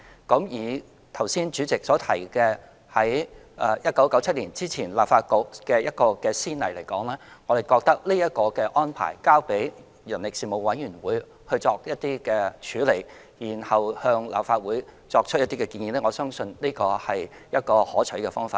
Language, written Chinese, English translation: Cantonese, 剛才主席提到，在1997年之前立法局的一個先例而言，我們覺得這個安排，即交付人力事務委員會作處理，然後向立法會作出建議，我相信這是一個可取的方法。, With regard to the precedent case that took place before 1997 in the former Legislative Council we consider and I believe the present arrangement of referring the Bill to the Panel on Manpower for processing and then making recommendations to the Legislative Council is a desirable approach